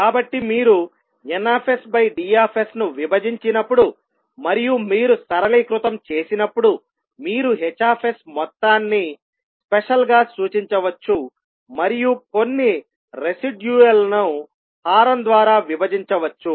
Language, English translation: Telugu, So when you divide d s by n s and you simplify you can represent h s as sum special plus some residual divided by denominator